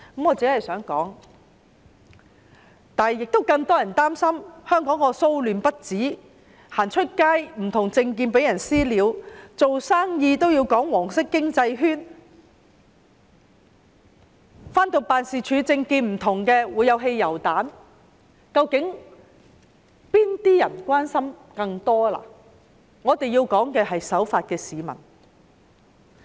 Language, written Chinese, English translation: Cantonese, 我想說的是，更多人擔心香港騷亂不止，外出的時候會因為不同政見而被"私了"，做生意要表明屬於"黃色經濟圈"，擔心因為不同政見而辦事處被投擲汽油彈，究竟市民更關心的是哪些事情呢？, I want to say that many people worry about the endless riots in Hong Kong . They worry about being subject to vigilante beating when they go out . Businessmen worry about the need to pledge allegiance to the yellow economic cycle and that their different political stands may result in their offices being attacked by petrol bombs